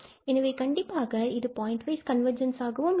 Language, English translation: Tamil, So, that is what we call the pointwise convergence